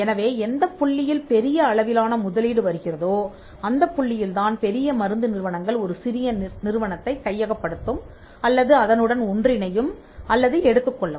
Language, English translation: Tamil, So, where the big investment comes that is the point at which the bigger pharmaceutical firms will come and take over or merge or acquire a smaller company